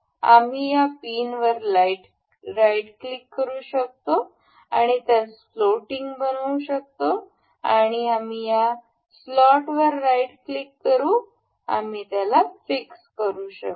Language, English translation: Marathi, We can right click on on this pin, we will make it float and we will right click over the slot and we will make it fixed